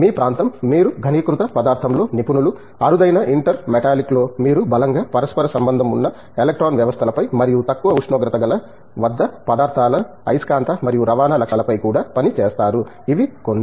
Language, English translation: Telugu, I think your area, you are expert in condense matter, in rarer inter metallic, you also work on strongly correlated electron systems and also on magnetic and transport properties of materials at low temperatures, these are some